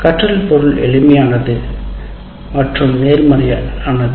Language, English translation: Tamil, Learning material is fairly simple and straightforward